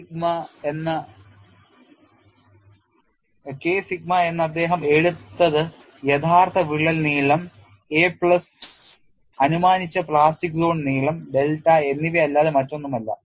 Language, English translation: Malayalam, The K sigma what you have taken is nothing but the original crack length a plus the assumed plastic zone length delta